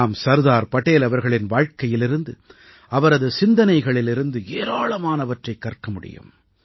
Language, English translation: Tamil, We can learn a lot from the life and thoughts of Sardar Patel